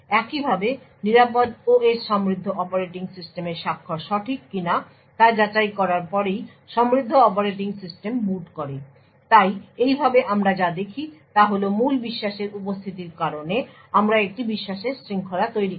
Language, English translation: Bengali, In a very similar way the secure OS initiates the boot of the rich operating system only after validating that the signature of the rich operating system is correct so in this way what we see is due to the presence of a root of trust we build a chain of trust